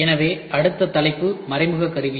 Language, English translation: Tamil, So, the next topic is indirect tooling